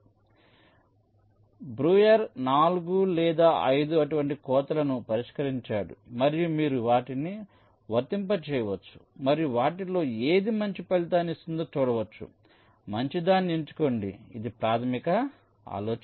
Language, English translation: Telugu, so breuer proposed four or five such sequence of cuts and you can apply them and see which of them is giving the better result and select that better one